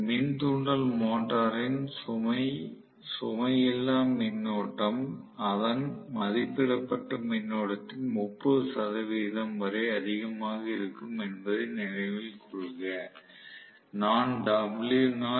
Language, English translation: Tamil, Please note the no load current of induction motor will be still as high as 30 percent of its rated current